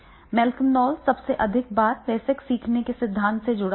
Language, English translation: Hindi, Malcolm knowledge is most frequently associated with the adult learning theory